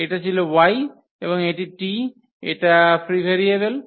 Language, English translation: Bengali, So, that was y and this t these are the free variables